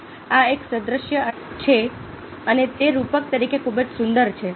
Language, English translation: Gujarati, now, this is an analogy and it's so beautiful as a metaphor